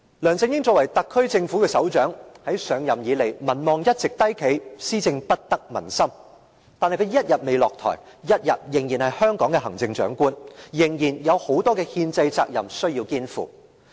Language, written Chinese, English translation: Cantonese, 梁振英作為特區政府的首長，自上任以來，民望一直低企，施政不得民心，但他一天未下台，一天仍是香港的行政長官，仍有很多憲制責任需要肩負。, As the head of the SAR Government LEUNG Chun - ying has a low popularity rating since his assumption of office and his governance does not get the approval of the public . As long as he remains in office he is still the Chief Executive of Hong Kong and he has to undertake many constitutional duties